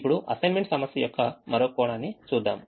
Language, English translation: Telugu, now let us look at one more aspect of the assignment problem